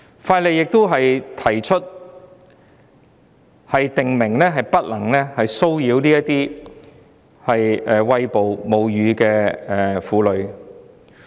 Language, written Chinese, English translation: Cantonese, 《條例草案》建議訂明不能騷擾餵哺母乳的婦女。, The Bill proposes to prohibit the harassment of breastfeeding women